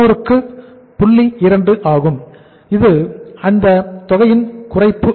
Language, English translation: Tamil, So this is the reduction by this amount